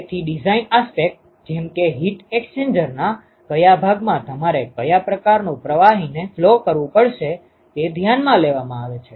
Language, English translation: Gujarati, So, so design aspects comes into play as to, which part of the heat exchanger you have to flow what kind of fluid